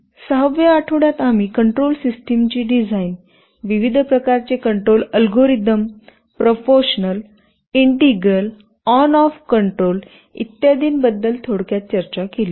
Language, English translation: Marathi, In the 6th week, we very briefly talked about the design of control systems, various kinds of control algorithms – proportional, integral, on off control etc